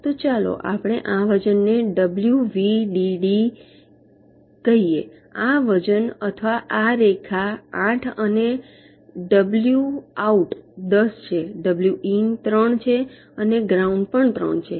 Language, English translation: Gujarati, so lets say wvdd, this weight, this weight of this line is eight and w and out is ten, w and in is three and ground is also three